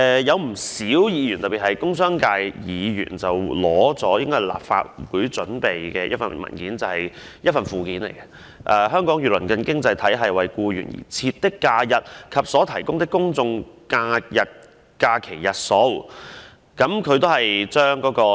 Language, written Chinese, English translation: Cantonese, 有不少議員——特別是工商界議員——引述一份由立法會擬備的資料文件的附件，題為"香港與鄰近經濟體系為僱員而設的假日及所提供的公眾假期日數"。, Many Members especially those from the commercial and industrial sectors have quoted from the annex to an information paper prepared by the Legislative Council titled Arrangement of Holidays Designated for Employees and General Holidays in Neighbouring Economies of Hong Kong in which it is stated that the numbers of holidays designated for employees and general holidays are 12 and 17 respectively